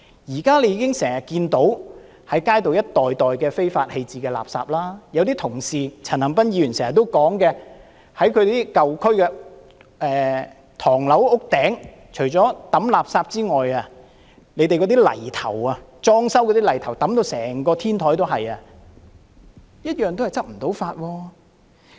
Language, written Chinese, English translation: Cantonese, 現在經常看到街上一袋一袋被非法棄置的垃圾，例如陳恒鑌議員經常說，舊區的唐樓天台除了有被丟棄的垃圾外，裝修泥頭也放滿整個天台，當局卻無法執法。, At present it is a common scene that bags of waste being illegally dumped on the street . For example as Mr CHAN Han - pan constantly mentioned aside from the garbage people disposed of renovation waste is also placed everywhere on the roof tops of the tenement buildings in the old districts but the authorities are unable to enforce the law